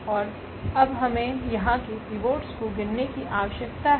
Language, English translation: Hindi, And what is now we need to count the pivots here